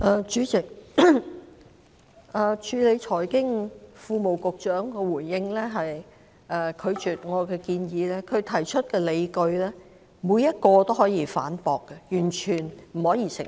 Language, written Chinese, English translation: Cantonese, 主席，財經事務及庫務局局長的回應，是拒絕了我的建議，但他提出的理據，每一個也可以反駁，是完全不能成立的。, President the response of the Secretary for Financial Services and the Treasury is a denial to my proposal but every reason that he put forward can be refuted and is completely unjustified